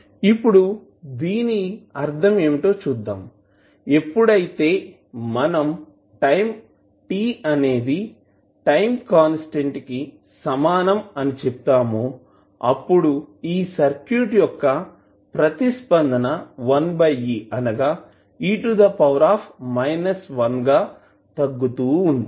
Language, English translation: Telugu, Now, what does it mean let see, so when we say that the time t is equal to time constant tau the response will decay by a factor of 1 by e that is e to the power minus 1